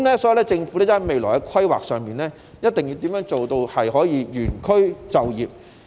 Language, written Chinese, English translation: Cantonese, 因此，在未來規劃上，政府一定要做到原區就業。, Therefore in future planning the Government must ensure that residents can live and work in the same district